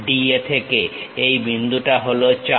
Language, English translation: Bengali, From DA the point is 4